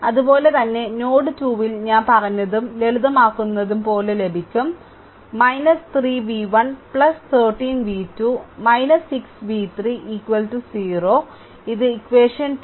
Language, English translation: Malayalam, Similarly at node 2 you the way I told you make and simplify, you will get minus 3 v 1 plus 13 v 2 minus 6 v 3 is equal to 0 this is equation 2